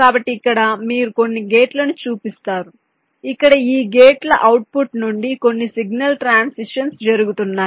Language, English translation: Telugu, so here you show some gates where some signal transitions are taking place